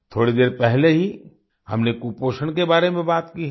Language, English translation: Hindi, We referred to malnutrition, just a while ago